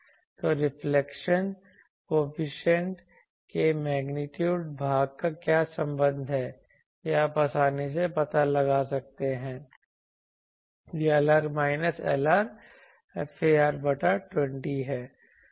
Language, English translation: Hindi, So, what is the relation of the magnitude part of the reflection coefficient this can be this you can easily find out that this is Lr minus Lr far by 20